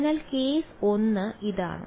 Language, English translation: Malayalam, So, case 1 is this